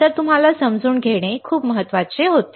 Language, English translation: Marathi, So, very important you had to understand